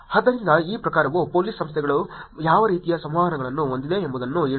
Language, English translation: Kannada, So, this kind tells you what kind of interactions of police organizations having